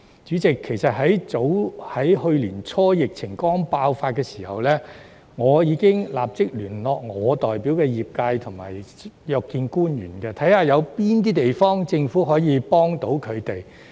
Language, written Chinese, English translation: Cantonese, 主席，去年年初疫情剛爆發的時候，我已立即聯絡我代表的業界約見官員，看看政府在哪方面可以提供協助。, President early last year when the epidemic first broke out I immediately contacted the sectors which I represent to make an appointment with government officials to see what assistance the Government could offer